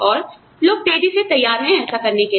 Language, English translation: Hindi, And, people are increasingly willing, to do that